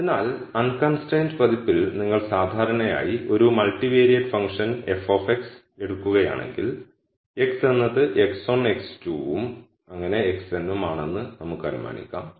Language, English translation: Malayalam, So, if you typically take a multivariate function f of x in the unconstrained version, let us assume that x is x 1 x 2 and x n